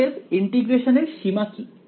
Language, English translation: Bengali, So, what are the limits of integration